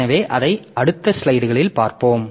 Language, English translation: Tamil, So, we'll see that in the next slide